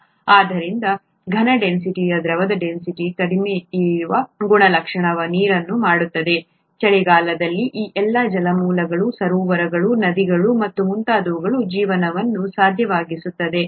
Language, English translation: Kannada, And so this very property that the density of the solid is less than the density of liquid is what makes water, what makes life possible in all those water bodies, lakes, rivers and so on and so forth, in winter